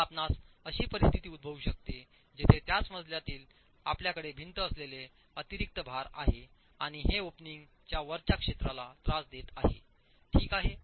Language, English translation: Marathi, Now you can have situations where in the same story you have additional loads that the wall is carrying and this actually is disturbing the zone above the opening